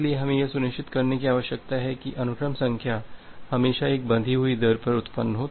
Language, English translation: Hindi, So, we need to ensure that the sequence numbers are always generated at a bounded rate